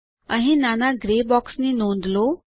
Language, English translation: Gujarati, Here, notice the small gray box